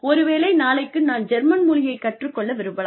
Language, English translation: Tamil, May be tomorrow, I want to go and learn German